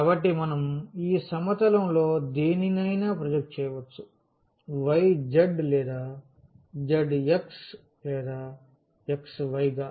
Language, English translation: Telugu, So, though we can we can project this to any one of these planes we either y z or z x or x y